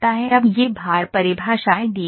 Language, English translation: Hindi, Now these load definitions are given